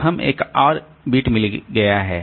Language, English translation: Hindi, So, there is a reference bit